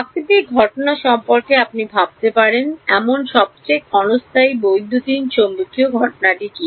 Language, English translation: Bengali, What is the most transient electromagnetic phenomena that you can think of natural phenomena